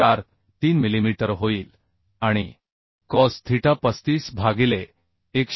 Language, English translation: Marathi, 43 millimetre and cos theta will become 35 by 115